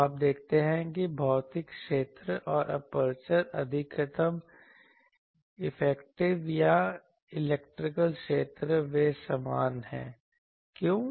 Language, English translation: Hindi, So, you see that physical area and the aperture the maximum effective or electrical area, they are same; why